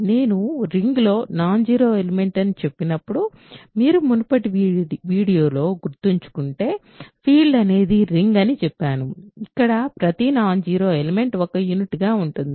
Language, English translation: Telugu, So, when I say non zero elements in a ring, if you remember in the previous video I said a field is a ring where every non zero element is a unit